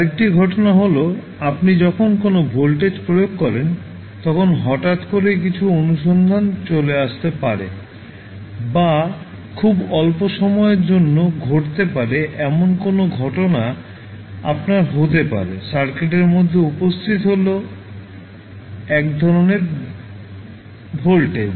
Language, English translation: Bengali, Another phenomena is that whenever you apply any voltage there might be some sudden search coming up or maybe any event which is happening very for very small time period, you will have 1 search kind of voltage appearing in the circuit